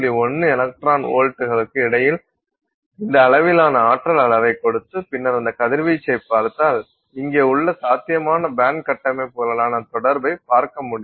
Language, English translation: Tamil, 1 electron volts for visible light, if you now take that radiation and look at its interaction with the possible band structures that we have here